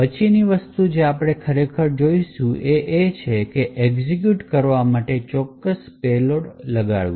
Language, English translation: Gujarati, So, the next thing we will actually look at is to force up specific payload to execute